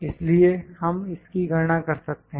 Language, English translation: Hindi, So, we can calculate this